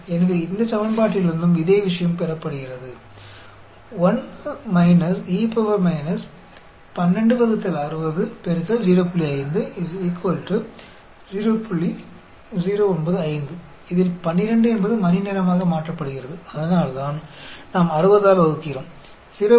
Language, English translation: Tamil, So, the same thing is obtained from this equation also, 1 minus e raised to the power of minus 12 by 60, wherein the 12 is converted into hours; that is why we are dividing by 60, multiplied by 0